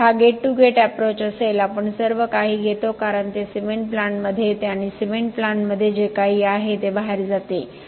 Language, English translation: Marathi, So, this would be the gate to gate approach we take everything as it comes into the cement plant everything that is inside the cement plant and going out